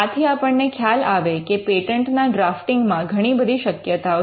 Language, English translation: Gujarati, Now this tells you that there is quite a lot of possibility in patent drafting